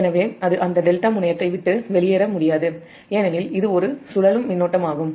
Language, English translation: Tamil, so it cannot, it cannot leave that delta terminal because it is a circulating current